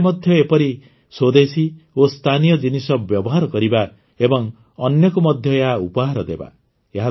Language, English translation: Odia, We ourselves should use such indigenous and local products and gift them to others as well